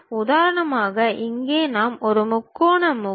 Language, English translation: Tamil, For example, here we have a triangular face